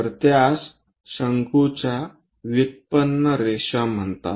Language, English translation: Marathi, So, these are called generated lines of the cone